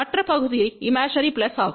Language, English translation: Tamil, Other part is plus which is imaginary plus